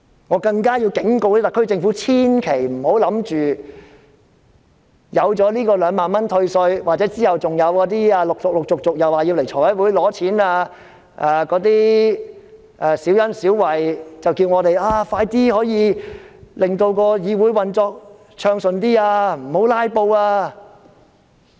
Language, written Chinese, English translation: Cantonese, 我更要警告特區政府，千萬不要以為有這2萬元退稅的措施，或之後陸續前來財務委員會申請撥款的小恩小惠，便可叫我們令議會運作比較暢順，不要"拉布"。, Furthermore I have to give a warning to the SAR Government . It should not have the wishing thinking that after introducing this measure of granting a tax rebate of 20,000 or the forthcoming funding applications to the Finance Committee for some petty favours to the public this Council can operate more smoothly without any filibustering